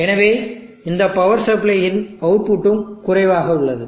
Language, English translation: Tamil, So therefore, 0 the output of this power supply is also low